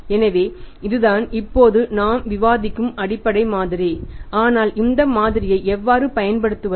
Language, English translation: Tamil, So, this is the basic model we discussed now but how to apply this model I will discuss with you in the next class